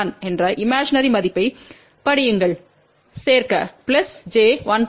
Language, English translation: Tamil, Now, read the imaginary value which is minus j 1